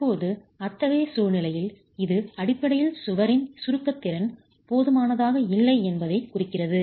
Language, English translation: Tamil, Now in such a situation it basically implies that the compression capacity of the wall is inadequate